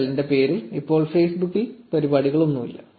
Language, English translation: Malayalam, So, there are no Facebook events in the name of nptel right now